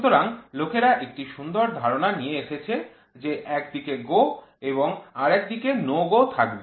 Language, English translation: Bengali, So, what people have come out with a beautiful idea is let us have one side GO one side no GO